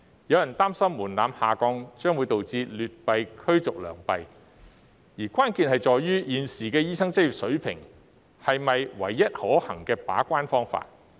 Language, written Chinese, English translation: Cantonese, 有人擔心門檻下降會導致劣幣驅逐良幣，關鍵在於，現時的醫生執業試是否唯一可行的把關方法？, Some people worry that lowering the threshold will cause bad money to drive out the good . The crux is is the present licensing examination for doctors the only feasible way of gatekeeping? . Take Singapore as an example